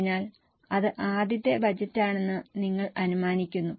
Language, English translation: Malayalam, So you assume that this is the first budget